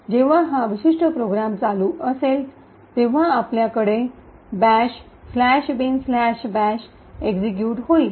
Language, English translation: Marathi, So, when this particular program runs we would have the bash slash bin slash bash getting executed